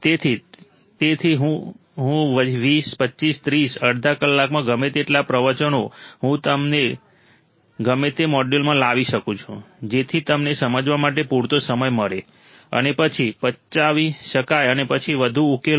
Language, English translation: Gujarati, So, that is why I am squeezing down the time in 20, 25, 30, half an hour whatever the lectures I can bring it to whatever modules I can bring it to so that you have enough time to understand, and then digest and then solve more